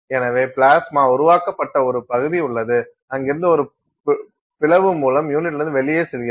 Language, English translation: Tamil, So, there is a region where the plasma is created and from there it escapes out of that unit through an opening